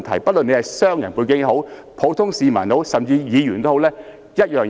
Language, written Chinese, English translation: Cantonese, 不論是商人或普通市民，甚至是議員，待遇都是一樣。, Businessmen members of the general public and even Members will be treated equally